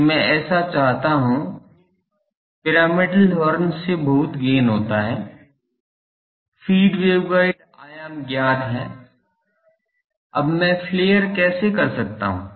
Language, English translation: Hindi, That I want so, much gain from the pyramidal horn; the feed waveguide dimension is known, now how I do the flare